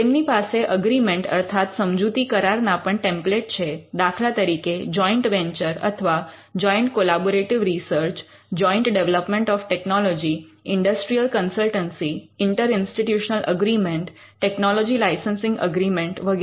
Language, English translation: Gujarati, They also have templates of agreements; for instance, various agreements like a joint venture or a joint collaborative research, joint development of technology, industrial consultancy, inter institutional agreement technology licensing agreement